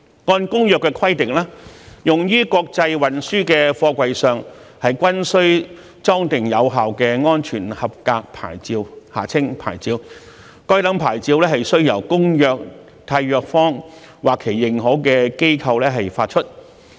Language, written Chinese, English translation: Cantonese, 按照《公約》規定，用於國際運輸的貨櫃上均須裝定有效的安全合格牌照，該等牌照須由《公約》締約方或其認可機構發出。, In accordance with the Convention any container used for international transport must be affixed with a valid safety approval plate SAP issued by a Contracting Party to the Convention or its recognized organizations